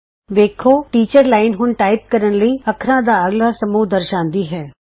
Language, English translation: Punjabi, Notice, that the Teachers Line now displays the next set of characters to type